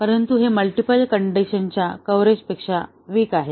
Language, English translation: Marathi, But, it is weaker than the multiple condition coverage